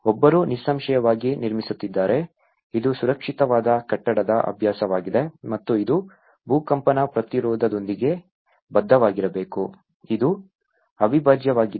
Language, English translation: Kannada, One is building obviously, it is a safer building practice and it has to adhere with the earthquake resistance, this is one of the prime